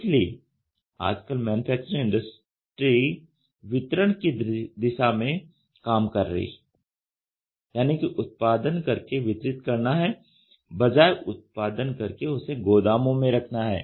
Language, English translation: Hindi, So, today the manufacturing industry is working towards delivery that is produce or make to delivery rather than make to produce and keep it in a stores